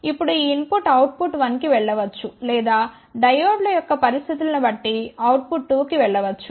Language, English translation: Telugu, Now this input can go to output 1 or it can go to output 2 depending upon what are the conditions for the diodes